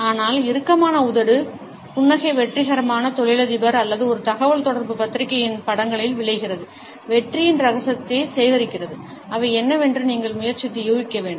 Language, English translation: Tamil, But the tight lip smile results in magazine pictures of successful businessman or a communicating, up gather the secret of success and you have to try and guess what they are